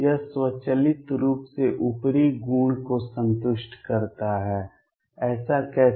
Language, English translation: Hindi, This automatically satisfies the upper property, how so